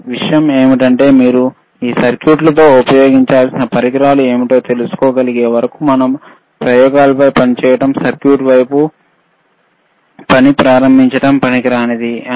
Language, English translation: Telugu, But the point was that, until and unless you are able to know that what are the equipment’s that we have to use with this circuit, it is useless to start you know working on experiments, working on the circuit side,